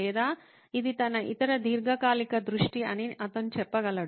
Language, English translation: Telugu, Or he could say this is his other long term vision